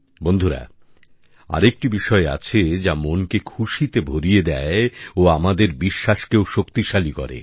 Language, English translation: Bengali, Friends, there's one more thing that fills the heart with joy and further strengthens the belief